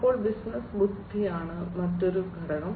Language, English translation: Malayalam, Then business intelligence is another component